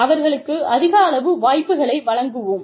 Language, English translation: Tamil, We will give them opportunities